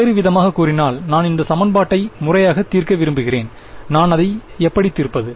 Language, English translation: Tamil, In other word I want to solve this equation formally, how do I do it